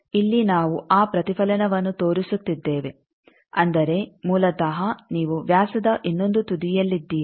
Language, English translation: Kannada, So, here we are showing that reflection means basically you are at the other end of the diameter